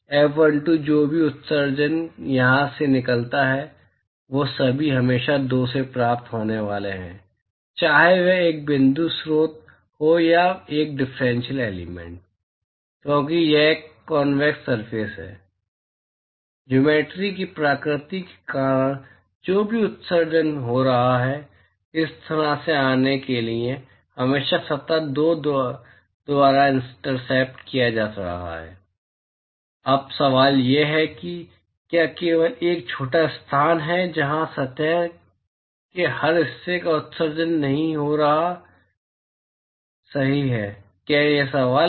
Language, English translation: Hindi, F12 whatever emission that goes out from here they are all always going to be received by two, irrespective of whether it is a point source or a differential element, because it is a convex surface due to the nature of the geometry whatever emission that is going to come from this surface is always going to be intercepted by surface two